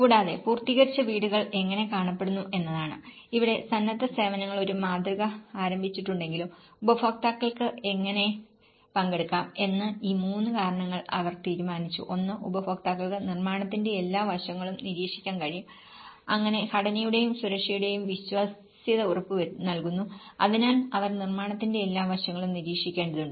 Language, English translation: Malayalam, And the completed houses is how they look like and here, whatever the voluntary services have initiated a model, where how do the users can participate and they have decided these three reasons; one is the users could observe every aspect of the construction, thus guaranteeing the reliability of the structure and safety, so that they need to observe every aspect of the construction